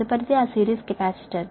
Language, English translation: Telugu, next is that series capacitor